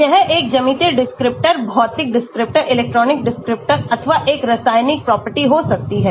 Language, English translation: Hindi, it could be a geometric descriptor, physical descriptor, electronic descriptor, or a chemical property